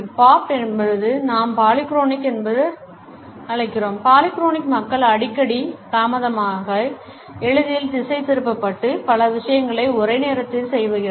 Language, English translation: Tamil, Bob is what we call polyphonic, polyphonic people are frequently late and are easily distracted and do many things at once